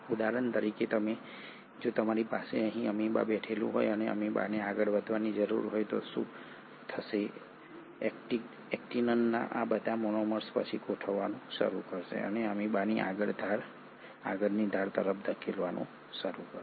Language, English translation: Gujarati, Let me take for example if you have an amoeba sitting here, and the amoeba needs to move forward, what will happen is all these monomers of actin will then start arranging and start pushing towards the leading edge of the amoeba